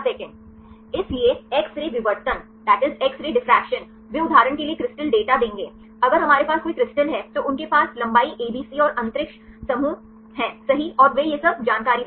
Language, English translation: Hindi, So, the X ray diffraction they will give the crystal data for example, if we have the any crystals, they have the length abc and the space groups right and they give all this information